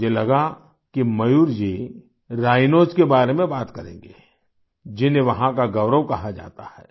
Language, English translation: Hindi, I thought that Mayur ji would talk about the Rhino, hailed as the pride of Kaziranga